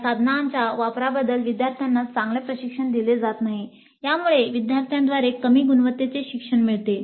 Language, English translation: Marathi, Students are not trained well in the use of these tools and this leads to low quality learning by the students